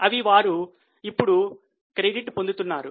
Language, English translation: Telugu, They are now getting credit for it